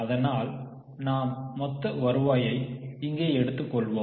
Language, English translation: Tamil, Shall we take total revenue or net sales